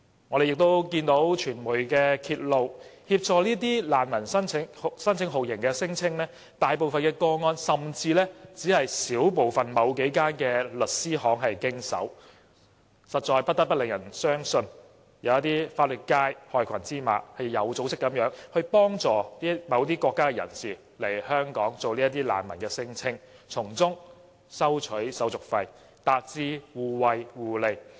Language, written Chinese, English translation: Cantonese, 我們亦看到傳媒揭露，大部分協助這些難民申請酷刑聲請的個案只是由某幾間律師行經手，實在不得不令人相信，有一些法律界的害群之馬有組織地幫助某些國家的人士來港做難民聲請，從中收取手續費，達致互惠互利。, As discovered by the news media most of the torture claimants are represented by certain law firms . We cannot help but suspect that some black sheep in the legal sector are assisting foreigners to come here in an organized manner and then lodge non - refoulement claims and in return the firms receive service fees from them for mutual benefits